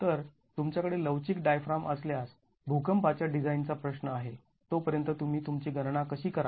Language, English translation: Marathi, So if you have a flexible diaphragm, how do you go about doing a calculations as far as seismic design is concerned